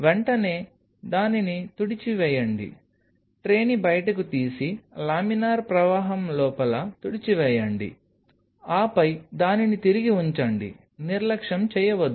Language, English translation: Telugu, Immediately wipe it out pull out the tray wipe it out inside the laminar flow would and then put it back, do not neglect